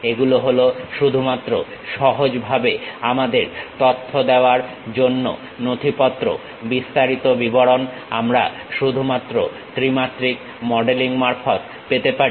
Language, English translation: Bengali, These are just a documentation to give us easy information, the detailed information we will get only through three dimensional modelling